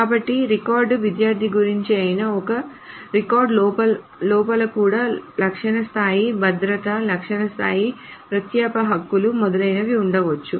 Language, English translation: Telugu, So even if the student, even if the record is about the student, so even within a record there can be attribute level security, attribute level access privileges, etc